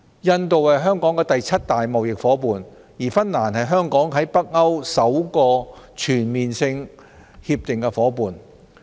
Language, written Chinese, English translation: Cantonese, 印度是香港第七大貿易夥伴，而芬蘭則是香港在北歐首個全面性協定夥伴。, India is Hong Kongs seventh largest trading partner whereas Finland is Hong Kongs first comprehensive agreement partner in Northern Europe